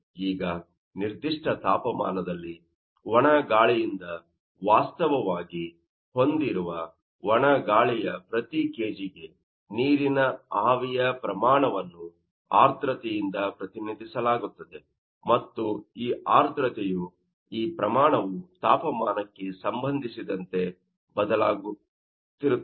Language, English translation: Kannada, Now, this you will see that the amount of water vapour per kg of dry air which is actually carrying by the dry air at that particular temperature will be represented by humidity and this humidity this amount will be changing with respect to temperature